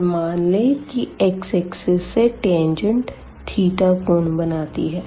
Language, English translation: Hindi, So, theta is the angle which this tangent makes with the x axis